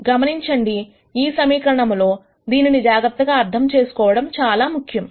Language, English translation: Telugu, Notice in this equation it is important to really understand this carefully